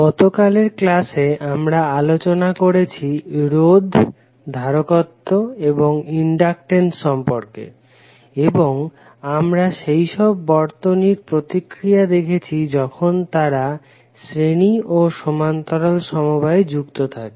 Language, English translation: Bengali, So yesterday in the class we discussed about the resistance, inductance and capacitance and we saw the response of those circuits when they are connected in series, parallel, combination